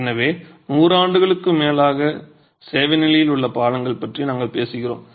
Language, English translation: Tamil, So, we are talking of bridges which have been in service condition for over 100 years easily